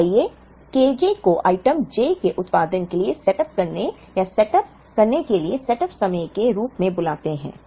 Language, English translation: Hindi, So, let us call the K j as the setup time to produce or to setup for the production of item j